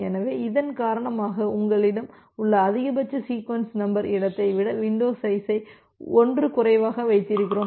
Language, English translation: Tamil, So, because of this we keep window size 1 less than the maximum sequence number space that you have